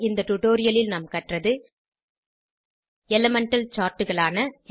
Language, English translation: Tamil, In this tutorial, we have learnt about Elemental Charts of 1